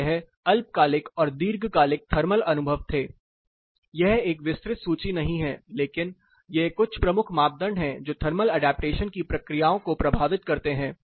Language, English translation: Hindi, So, this is short term and long term, this is not an exhaustive list, but these are some major parameters which influence the thermal adaptation processes